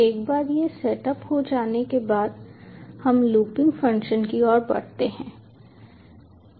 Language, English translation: Hindi, this setup is done, we move on to the looping function